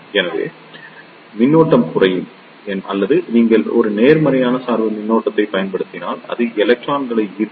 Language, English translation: Tamil, So, the current will reduce or if you apply a positive bias voltage, it will attract the electrons